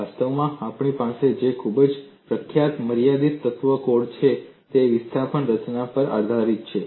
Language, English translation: Gujarati, In fact, the very famous finite element course that we have, that is based on displacement formulation